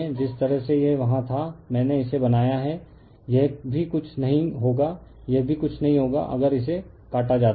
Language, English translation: Hindi, The way it was there I made it this will also nothing this will also nothing, right if it is cut